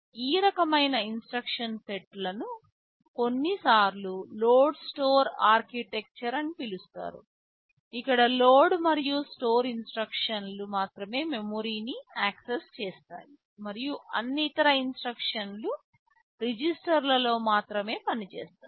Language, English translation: Telugu, Thisese kind of instruction set is sometimes called load store architecture, that where only load and store instructions access memory and all other instructions they work only on the registers right